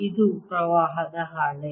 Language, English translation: Kannada, this is a sheet